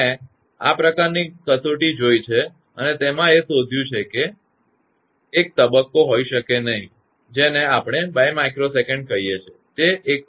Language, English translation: Gujarati, I have seen also that this kind of test and you found it may not be sometimes one point your what we call 2 microsecond; it will be 1